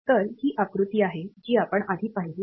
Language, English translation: Marathi, So, this is the diagram that we had previously